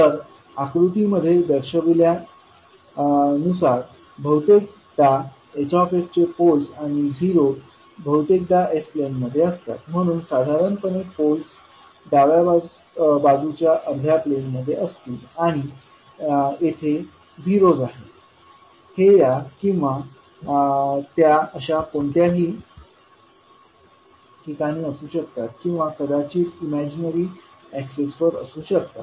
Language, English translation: Marathi, Now zeros and poles of h s are often located in the s plane as shown in the figure so generally the poles would be in the left half plane and zeros can be at any location weather here or there or maybe at the imaginary axis